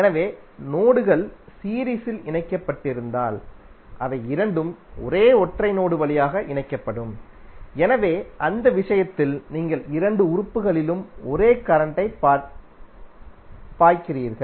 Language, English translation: Tamil, So it means that if the nodes are connected in series then they both elements will connected through one single node, So in that case you have the same current flowing in the both of the elements